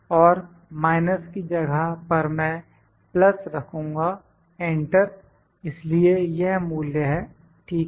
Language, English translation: Hindi, And in place of minus I will put plus enter, so this is the value, ok